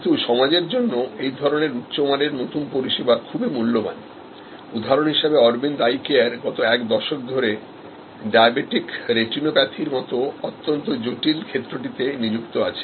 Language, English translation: Bengali, But, very valuable for the society high quality new services, so for example, Aravind Eye Care was recently engaged over the last decade or so, this very complex area of diabetic retinopathy